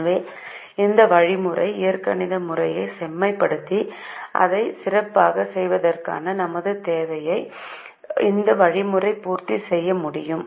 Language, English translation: Tamil, so this way this algorithm is able to meet our requirement of refining the algebraic method and making it better